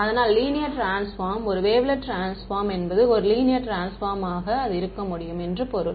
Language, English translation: Tamil, So, linear transformation, a wavelet transformation is a linear transformation; means it can be characterized by a matrix simple